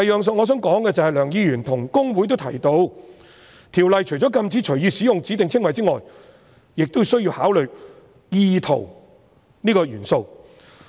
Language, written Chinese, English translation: Cantonese, 此外，梁議員與公會均提到，《條例》除了禁止隨意使用指定稱謂外，亦需要考慮"意圖"這個元素。, Besides both Mr LEUNG and HKICPA mentioned that apart from prohibiting the free use of specified descriptions the Ordinance also provides that the element of intention must be taken into account